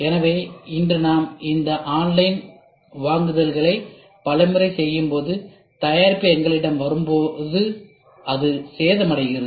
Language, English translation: Tamil, So, today when we do all these online purchase many a times we see when the product comes to us it gets damaged